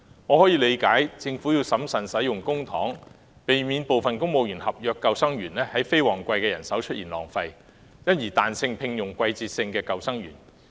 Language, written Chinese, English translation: Cantonese, 我理解政府有必要審慎使用公帑，避免因聘請過多的非公務員合約救生員而在非旺季出現人手浪費，因而彈性聘用季節性救生員。, I understand the need for the Government to exercise due prudence in using public funds to avoid overstaff situation in non - peak seasons resulting from the hiring of excessive non - civil service contract lifeguards and therefore it allows flexibility in the employment of seasonal lifeguards